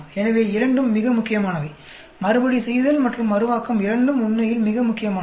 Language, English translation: Tamil, So, both are very important; Repeatability and Reproducibility both are very very important actually